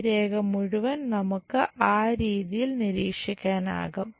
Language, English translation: Malayalam, And this entire line we will observe it in that way